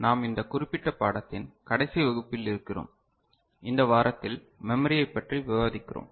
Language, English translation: Tamil, We are in the last class of this particular course and in this week we are discussing memory